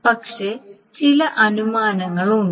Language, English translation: Malayalam, But there are some assumptions